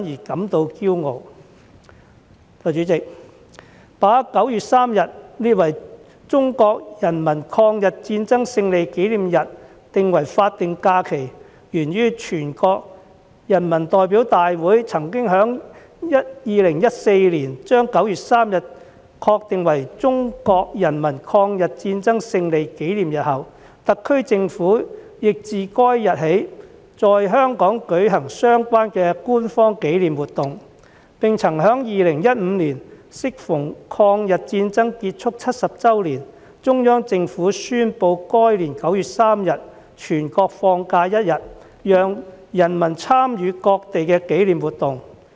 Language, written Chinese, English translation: Cantonese, 代理主席，把9月3日列為中國人民抗日戰爭勝利紀念日定為法定假期，源於全國人民代表大會曾在2014年把9月3日確定為中國人民抗日戰爭勝利紀念日後，特區政府亦自該日起，在香港舉行相關的官方紀念活動，並曾在2015年適逢抗日戰爭結束70周年，中央政府宣布該年9月3日全國放假一天，讓人民參與各地的紀念活動。, Deputy President the designation of 3 September as a statutory holiday to commemorate the Victory Day of the War of Resistance arises from the designation of 3 September as the Victory Day of the War of Resistance by the National Peoples Congress in 2014 and the SAR Government has since held official commemorative activities in Hong Kong on that day . Moreover in 2015 on the 70th anniversary of the end of the War of Resistance the Central Government designated 3 September as a holiday to allow people to participate in commemorative activities held in different parts of the country